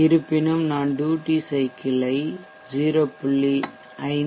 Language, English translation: Tamil, However, if I change the duty cycle to 0